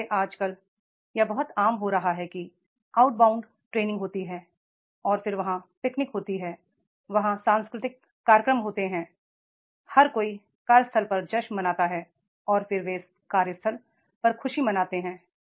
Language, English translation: Hindi, So, nowadays it is becoming very common that is there outbounding trainings are there and then there are picnics are there, there are the cultural functions are there, festivals are there making everybody to celebrate the workplace and then the making the joy at workplace, making the understanding it workplace